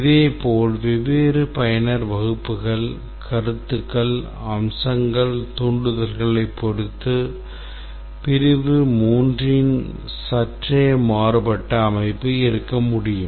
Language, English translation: Tamil, Similarly, depending on different user classes, concepts, features, stimuli, there can be slightly different organization of the section 3